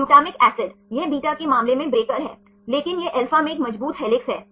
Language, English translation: Hindi, Glutamic acid: it is a breaker in the case of beta, but it is a strong helix former in alpha